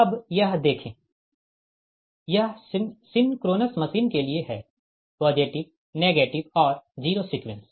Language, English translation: Hindi, so now see, this is for the synchronous machine, the positive, negative and zero sequence